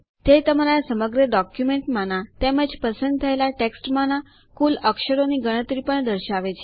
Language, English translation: Gujarati, It also shows the total count of characters in your entire document as well as in the selected text